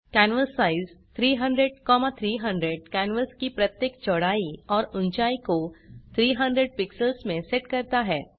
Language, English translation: Hindi, canvassize 300,300 sets the width and height of the canvas to 300 pixels each